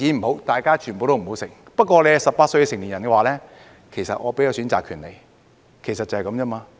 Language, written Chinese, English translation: Cantonese, 不過，如果是年滿18歲的成年人，我會給予選擇權，其實就是這樣而已。, We had better not consume any of them . Nevertheless for adults aged over 18 I will give them the right to choose . It is just that simple